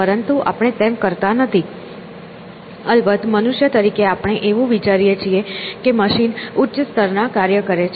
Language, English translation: Gujarati, But we do not do that, of course; we as human beings tend to think of machines as doing higher level things